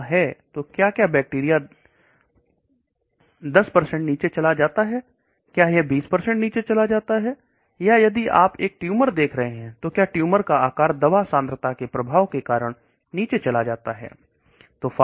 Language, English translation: Hindi, So if the drug is there, does the bacteria go down 10%, does it go down 20% or if you are looking at a tumour the tumour size goes down as a function of drug concentration